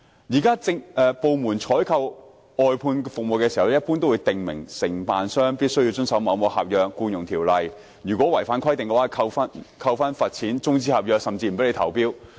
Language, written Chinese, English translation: Cantonese, 現時，政府部門採購外判服務時一般會訂明，承辦商必須遵守合約和《僱傭條例》，如果違反規定便會遭扣分、罰錢、終止合約甚至不准投標。, Currently when government departments procure outsourced services they will in general stipulate that contractors must abide by the contracts and the Employment Ordinance . Should they contravene the provisions they will have their merits deducted face the imposition of fines have their contracts terminated or even face the possibility of being prohibited from making bids